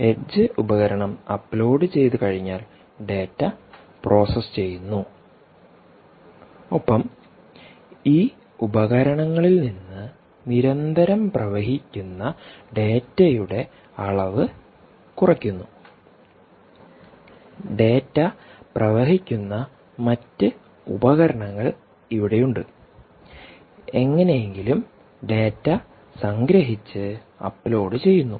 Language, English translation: Malayalam, first thing is the age device: right, once the edge device uploads data, processes the data and reduces the amount of data that is constantly exploding from these, from these devices here, exploding from these device is here these other data exploding devices and somehow does some sort of summarisation and uploads the data